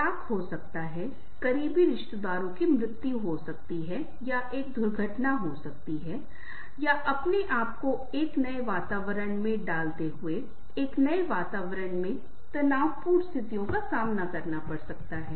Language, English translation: Hindi, may be a divorce, may be a death of the close relatives, or having an accident, or facing a stress, new stressful situations in a new environment, putting yourself in a new environment